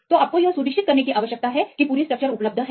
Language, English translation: Hindi, So, you need to make sure that the complete structure is available